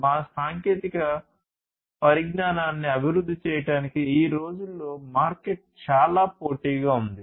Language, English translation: Telugu, In order to evolve our technologies, the market is highly competitive nowadays